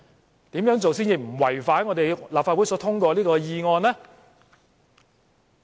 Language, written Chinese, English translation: Cantonese, 她要怎樣做，才能不違反立法會所通過的議案呢？, What does she need to do in order not to violate the motion passed by the Legislative Council?